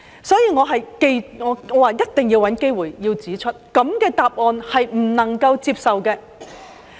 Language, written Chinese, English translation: Cantonese, 所以，我一定要找機會指出，這樣的答案是不能接受的。, So I must find an opportunity to point out that a reply like that is unacceptable